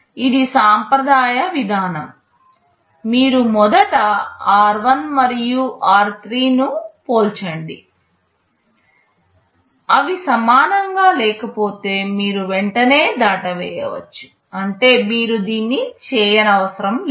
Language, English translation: Telugu, This is the conventional approach, you first compare r1 and r3; if they are not equal you can straight away skip; that means, you have you do not have to do it